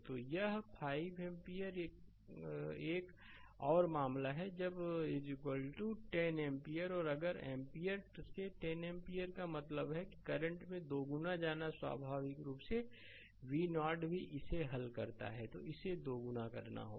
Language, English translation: Hindi, So, this i is 5 ampere another case when i is equal to 10 ampere and if 5 ampere to 10 ampere means the current getting doubled naturally v 0 also you solve it, it has to be doubled right